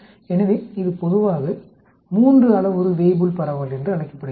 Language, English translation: Tamil, So this is generally is called a three parameter Weibull distribution